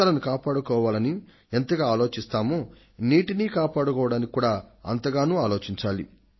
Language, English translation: Telugu, We are so concerned about saving lives; we should be equally concerned about saving water